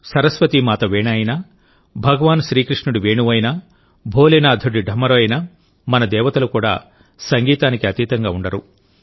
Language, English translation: Telugu, Be it the Veena of Maa Saraswati, the flute of Bhagwan Krishna, or the Damru of Bholenath, our Gods and Goddesses are also attached with music